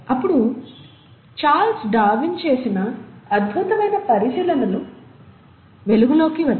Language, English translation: Telugu, Then came the remarkable observations done by Charles Darwin